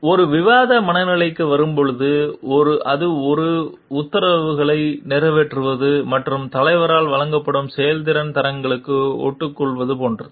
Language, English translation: Tamil, And like come to a discussion mood it is like a only carrying out orders and sticking to the performance standards which is given by the leader